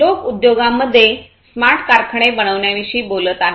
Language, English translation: Marathi, People are talking about making smart factories in the industries